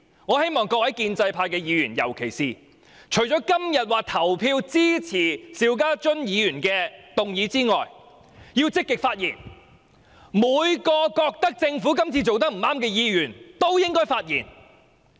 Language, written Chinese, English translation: Cantonese, 我希望各位建制派議員今天除了投票支持邵家臻議員的議案外，亦要積極發言，所有認為政府今次做得不對的議員也應發言。, Apart from voting in support of Mr SHIU Ka - chuns motion I hope that Members from the pro - establishment camp will also rise to speak proactively today . All Members who think the Government is wrong this time should also rise to speak